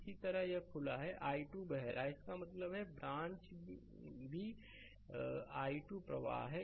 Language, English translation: Hindi, Similarly this is open so, i 2 is flowing that means, this branch also i 2 current is flowing right